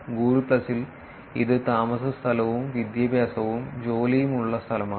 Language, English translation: Malayalam, In Google plus, it is places lived address and education and employment